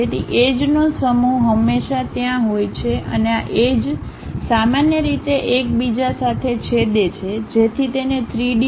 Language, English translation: Gujarati, So, set of edges always be there and these edges usually intersect with each other to make it a three dimensional object